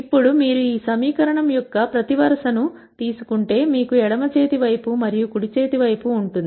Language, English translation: Telugu, Now if you take each row of this equation you will have a left hand side and the right hand side